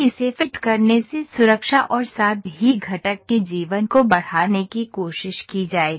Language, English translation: Hindi, Filleting is giving this will try to enhance the safety as well as the life of the component